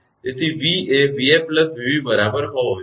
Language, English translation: Gujarati, So, v should be is equal to v f plus v b